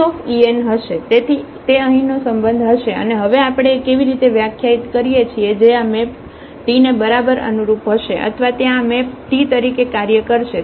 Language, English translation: Gujarati, So, that will be the will be the relation here and how we define now the A which will be exactly corresponding to this map T or will function as this map T there